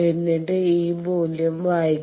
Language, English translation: Malayalam, So, let us take this one then read this value